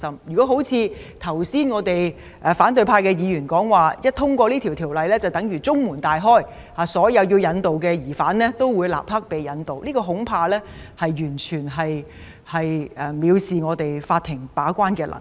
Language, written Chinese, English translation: Cantonese, 如果像反對派議員剛才所說，《條例》獲得通過便等於中門大開，所有須被引渡的疑犯都會立即被引渡，恐怕這完全藐視法庭把關的能力。, If as opposition Members just said the passage of the Ordinance will leave the door wide open and all suspects who are subject to extradition will be extradited immediately I am afraid this will completely defy the gatekeeping ability of the court